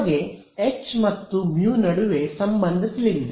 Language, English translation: Kannada, We have a relation between h and u